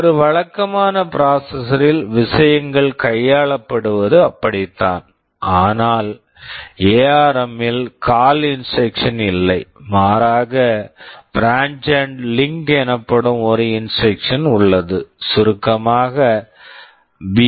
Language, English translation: Tamil, That is how the things are handled in a conventional processor, but in ARM there is no CALL instruction rather there is an instruction called branch and link, BL in short